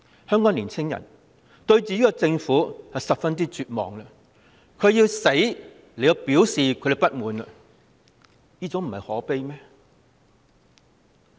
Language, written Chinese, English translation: Cantonese, 香港的年青人對自己的政府絕望，要以死表達自己的不滿，真的非常可悲。, Hong Kongs young people are driven to despair by their own Government and must express their grievances through deaths―this is most pathetic indeed